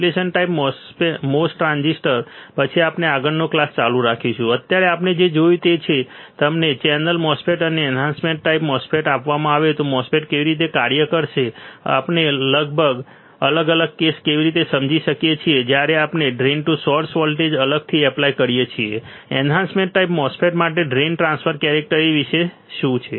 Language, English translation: Gujarati, Depletion type mos transistor then we will continue the next class right now what we have seen we have seen that if you are given a n channel MOSFET and enhancement type MOSFET, how the MOSFET will operate how can we understand the different cases, when we apply different drain to source voltage, what about the drain transfer characteristics for the enhancement type MOSFET